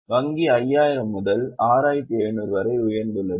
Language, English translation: Tamil, Bank has gone up from 5,000 to 6,700